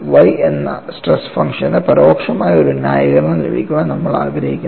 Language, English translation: Malayalam, Now, we would like to have an indirect justification for the stress function y that is what we are doing it here